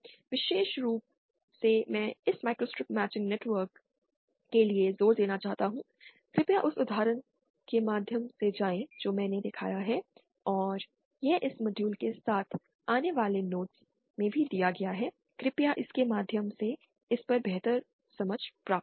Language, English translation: Hindi, Especially I want to emphasise for this microstrip matching networks, please go through the example that I have shown and it is also given in the notes accompanying this module, please go through it to get a better grasp on it